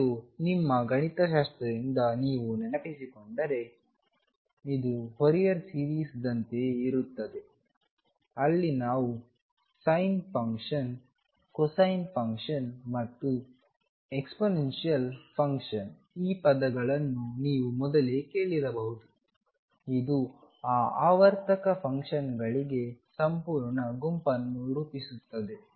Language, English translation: Kannada, And if you recall from your mathematics this is similar to a Fourier series, where we assume and may be you heard this term earlier that the sin function cosine function and exponential function they form a complete set for those periodic functions